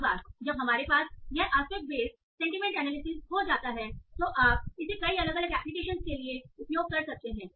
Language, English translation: Hindi, So, once you have this aspect in the sentiment analysis, you can now use it for many, many different applications